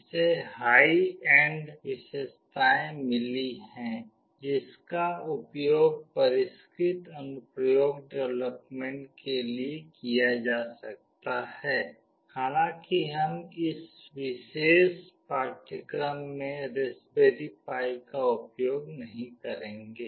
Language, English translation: Hindi, It has got high end features that can be used for sophisticated application development although we will not be using Raspberry Pi in this particular course